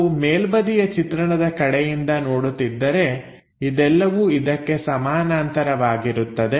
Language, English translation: Kannada, If we are looking from top view this entire thing goes parallel to this